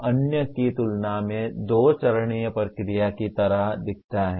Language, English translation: Hindi, So this looks like a two step process compared to the other one